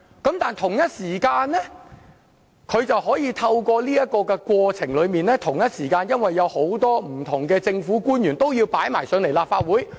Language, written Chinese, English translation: Cantonese, 但是，同一時間，這個調查過程卻會對他有利，因為不同的政府官員都要前來立法會作供。, However at the same time he can benefit from the process of the inquiry because we will also summon different public officers to the Legislative Council to testify